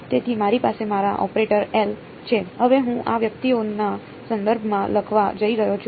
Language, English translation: Gujarati, So, I have my operator L, now phi I am going to write in terms of these guys